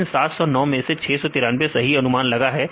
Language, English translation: Hindi, Out of this 709; so 693 are correctly predicted